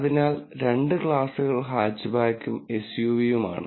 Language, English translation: Malayalam, So, really the two classes are Hatchback and SUV